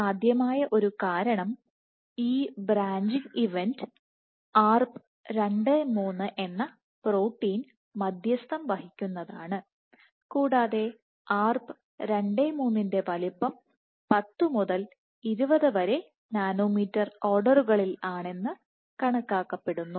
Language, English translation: Malayalam, One possible reason is this branching event is mediated by a protein called Arp 2/3 and the size of Arp 2/3 has been estimated to be all the other of 10 to 20 nanometers